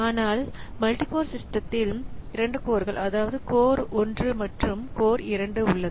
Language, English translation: Tamil, On a multi core system, so we have got say two cores, code one and code two